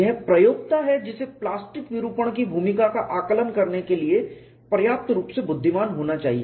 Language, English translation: Hindi, It is a user who has to be intelligent enough to assess the role of plastic deformation